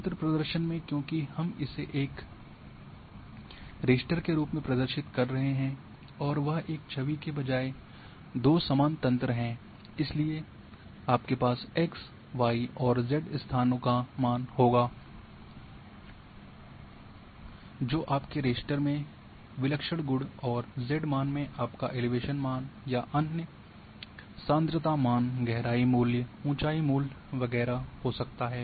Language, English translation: Hindi, Then in grid representation because we are representing as a raster and that two uniform of grid rather than an image, so you will have your x y locations and z value that is your singular attribute in raster and that z value can be your elevation value or other concentration value, depth value, hide value etcetera